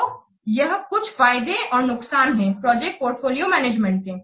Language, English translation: Hindi, So these are the important concerns of project portfolio management